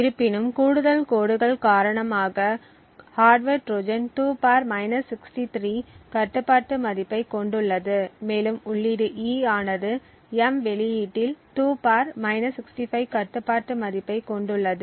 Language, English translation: Tamil, However, the additional lines which is due to the hardware Trojan has a control value of 2 ^ , further the input E has a control value of 2 ^ on the output M